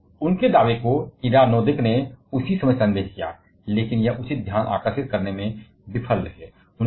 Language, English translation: Hindi, But their claim was doubted by Ida Noddack at that same time itself, but that failed to attract proper attention